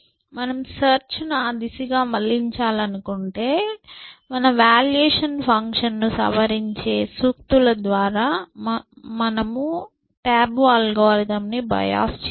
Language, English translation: Telugu, So, if you want to push the search into that direction, you can bios the tabu algorithm by sayings that modify your valuation function